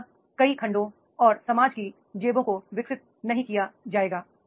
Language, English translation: Hindi, Otherwise, many segments and the pockets of the society that will not be developed